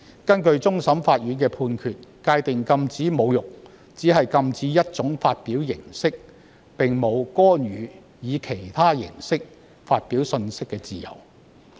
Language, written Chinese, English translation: Cantonese, 根據終審法院的判決，禁止侮辱只是禁止一種發表形式，並無干預以其他形式發表信息的自由。, According to the judgment of the Court of Final Appeal prohibiting acts of insulting is only prohibiting a form of presentation without intervening in the freedom of presenting information in other forms